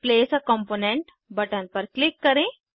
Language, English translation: Hindi, click on Place a component button